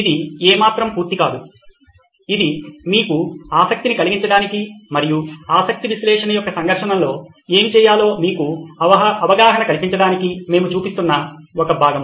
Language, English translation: Telugu, It’s by no means complete, it’s just one part that we are showing for to keep you interested as well as to keep give you a flavour of what it is to do a conflict of interest analysis